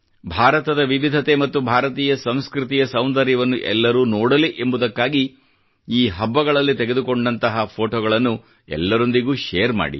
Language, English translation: Kannada, Doo share the photographs taken on these festivals with one another so that everyone can witness the diversity of India and the beauty of Indian culture